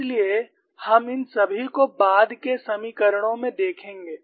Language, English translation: Hindi, So, we would see all these in the subsequent equations